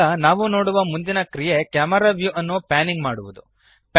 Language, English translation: Kannada, Now, the next action we shall see is panning the camera view